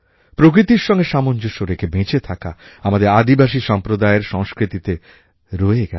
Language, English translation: Bengali, To live in consonance and closed coordination with the nature has been an integral part of our tribal communities